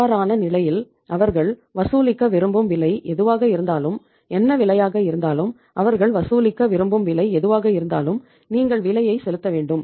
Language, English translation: Tamil, In that case whatever the price they want to charge, whatever the cost is there and whatever the price they want to charge you have to pay the price